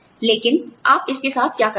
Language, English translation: Hindi, But, what do you do, with it